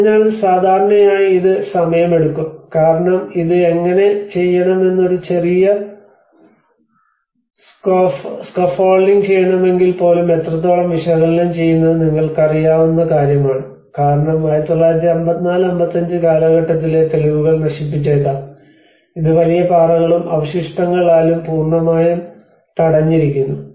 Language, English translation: Malayalam, \ \ So, it normally takes time because even analyzing to make a small scaffolding how to do it is also a big task you know because you might destroy the evidence like in 1954 55 this has been completely blocked up to the big boulders and debris